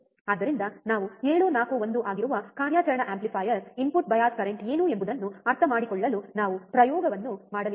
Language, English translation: Kannada, So, we are going to we are going to perform the experiment to understand what is the input bias current for the operational amplifier that is 741